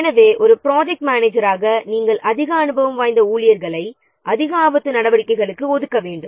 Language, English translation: Tamil, So, as a project manager, you should allocate more experienced personnel to those critical activities